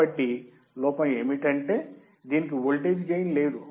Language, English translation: Telugu, So, the drawback is that that it has no voltage gain